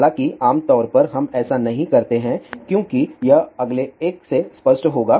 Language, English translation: Hindi, However, generally we do not do that as we will be obvious from the next one